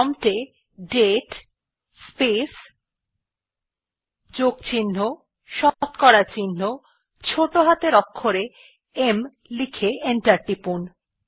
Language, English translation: Bengali, Type at the prompt date space plus% small h and press enter